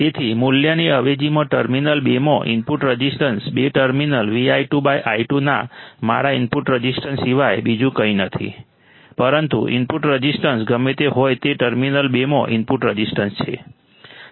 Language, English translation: Gujarati, So, therefore, the input resistance into terminal two after substituting the value, is nothing but my input resistance of the terminal two right V i 2 by i 2 is nothing but input resistance to the terminal two right whatever the input resistance is